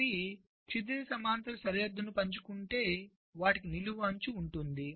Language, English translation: Telugu, two blocks have a horizontal edge if they share a vertical boundary